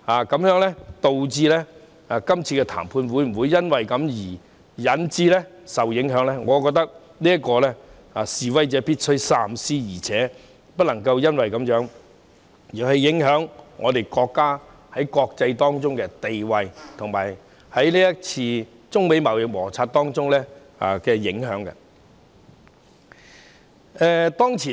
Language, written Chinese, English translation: Cantonese, 今次的談判會否因而受影響，我覺得示威者必須三思，更不能因而影響國家的國際地位，以及不能令國家在中美貿易摩擦中受到影響。, I think protesters must think twice about whether the negotiation this time will be affected . More importantly they must not damage the countrys international status and affect the country amidst trade frictions between China and the United States